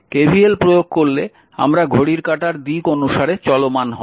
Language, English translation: Bengali, If you apply KVL, look we are moving we are moving clock wise, right